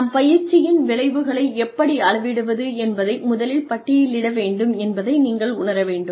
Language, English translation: Tamil, You must realize, we need to list the training effects, that we can measure